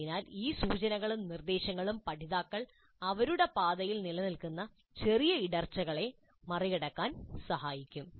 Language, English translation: Malayalam, So these cues and prompts are supposed to help the learners overcome any minor stumbling blocks which exist in their path